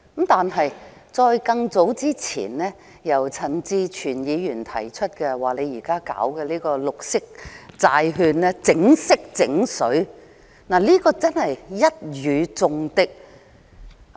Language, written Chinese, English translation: Cantonese, 但更早之前，陳志全議員說現時推出的綠色債券"整色整水"，的確一語中的。, But even before that Mr CHAN Chi - chuen described the introduction of green bonds as which indeed hit the nail right on the head . Mr CHAN was a bit worried that it was too negative a comment to make